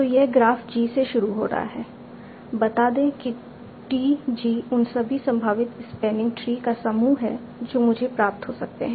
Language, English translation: Hindi, So, starting from the graph G, let us say TG is the set of all the possible spanning trees that I can obtain